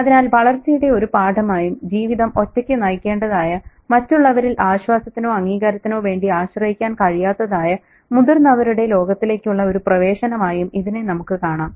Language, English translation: Malayalam, So it can be seen as a, you know, a lesson in growing up, an initiation into the adult world where you got to navigate your life on your own, not, you know, depend on others for comfort, solas or validation